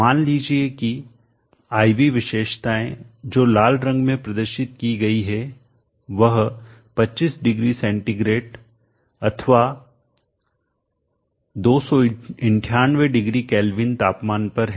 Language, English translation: Hindi, Consider the IV characteristic I have shown here let the IV characteristic which is in red represent the characteristic at temperature 250C or 298 0 Kelvin